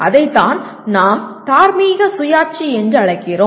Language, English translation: Tamil, That is what we call moral autonomy